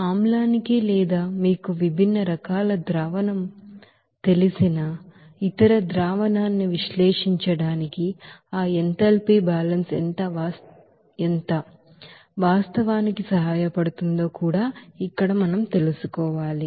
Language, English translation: Telugu, Now here also we have to find out that how actually that enthalpy balance can be helpful to analyze the solution basically for acid or other you know different type of solution